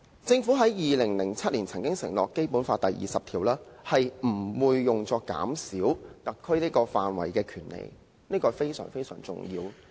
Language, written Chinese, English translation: Cantonese, 政府在2007年曾經承諾，《基本法》第二十條不會削減特區範圍的權利，這是相當重要的。, In 2007 the Government undertook that the powers vested with the Special Administrative Region would not be curtailed due to Article 20 of the Basic Law . This is very important